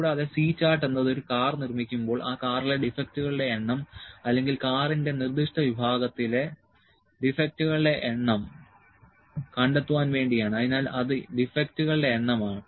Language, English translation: Malayalam, And C chart is when we have the number of defects like I said number of defects in the car or number of defects in the specific section of the car when it is manufactured so, it is number of defects